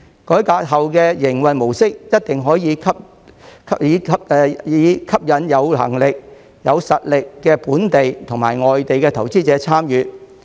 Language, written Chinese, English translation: Cantonese, 改革後的營運模式一定可以吸引有能力、有實力的本地及外地投資者參與。, The revamped mode of operation can certainly attract participation from local and foreign investors with strengths and solid foundations